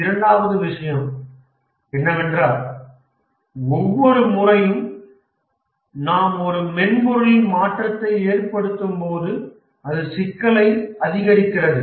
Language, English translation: Tamil, The second thing is that each time we make a change to a software, the greater becomes its complexity